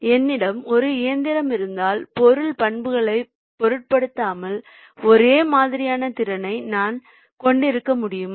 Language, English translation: Tamil, if i have a single machine, can i have the identical capacity irrespective of the material characteristics